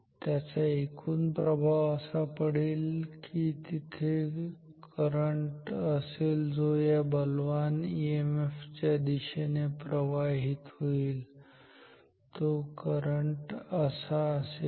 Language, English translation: Marathi, So, the current so there will be some current which will flow along the direction of the stronger EMF, so this is the current